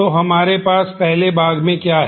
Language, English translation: Hindi, So, what do we have in one part